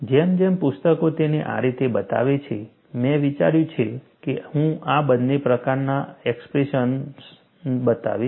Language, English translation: Gujarati, As books show it like this, I thought I would show both these type of expressions